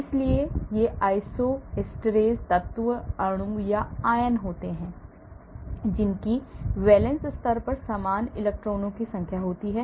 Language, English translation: Hindi, so these isosteres are elements, molecules or ions which have the same number of electrons at the valence level